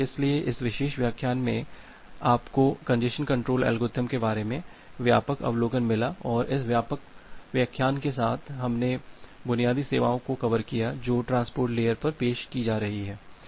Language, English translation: Hindi, Well, so, in this particular lecture you got the broad overview about the congestion control algorithm and with this lecture, we have covered basic services which are being offered at the transport layer